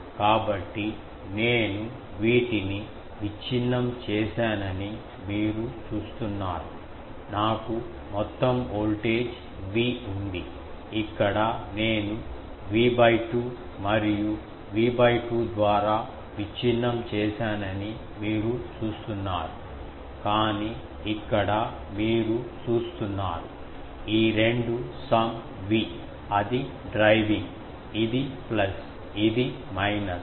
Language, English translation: Telugu, So, you see I have broken these, I have a total voltage V, here you see I have broken it V by 2 here and V by 2 here, but here you see that these two total V that is driving, this is plus, this is plus, this is minus, this is minus